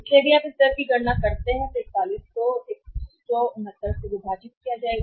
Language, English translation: Hindi, So, if you calculate this rate so 41 to be divided by 169